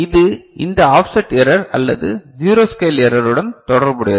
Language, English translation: Tamil, So, this is related to this offset error or zero scale error right